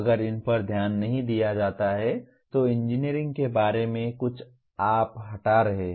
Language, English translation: Hindi, If these are ignored, something about engineering is you are removing